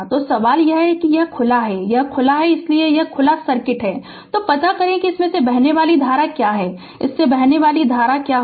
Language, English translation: Hindi, So, question is that this this is open, ah this is your this is open right, so this is open open circuit, so find out what is the current flowing through this what is the current flowing through this